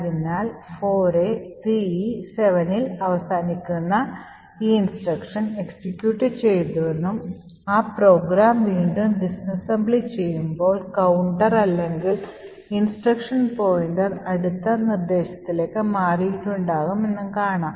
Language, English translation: Malayalam, So it says that this instruction which ends in 4a3e7 has executed and we could also see if we disassemble again that the program counter or the instruction pointer has moved to the next instruction